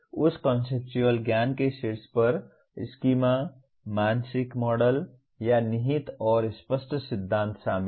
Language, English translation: Hindi, On top of that conceptual knowledge includes schemas, mental models, or implicit and explicit theories